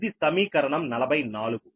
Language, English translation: Telugu, this is equation forty four